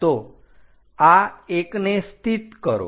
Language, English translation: Gujarati, So, locate this 1